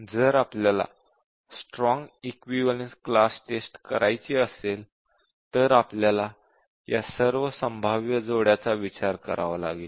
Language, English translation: Marathi, If we want to do a strong equivalence class testing we will have to consider all of these